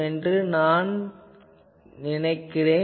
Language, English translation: Tamil, So, I am not further proceeding